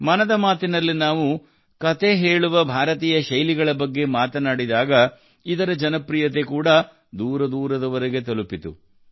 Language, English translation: Kannada, When we spoke of Indian genres of storytelling in 'Mann Ki Baat', their fame also reached far and wide